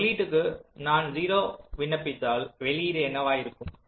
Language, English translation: Tamil, so if i apply a zero to this input, then what will be